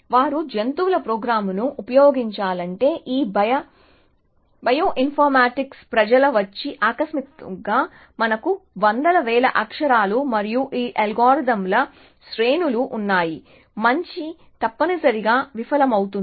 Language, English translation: Telugu, So, they say they if to use the animal programming, till this bio informatics people came in and then suddenly, we have sequences of hundreds of thousands of characters and those algorithms, so good is essentially failed essentially